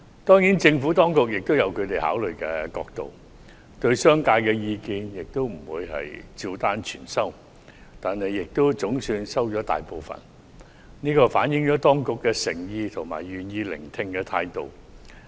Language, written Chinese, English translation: Cantonese, 當然，政府當局也有其考慮角度，不會對商界的意見照單全收，但亦總算接受了大部分意見，這反映當局的誠意及願意聆聽的態度。, Of course the Administration has its own perspective and considerations and will not take on board all the opinions from the business sector . However it has somehow accepted most of them and this shows the Administrations sincerity and willingness to listen